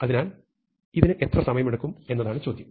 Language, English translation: Malayalam, So, the question is how long does this take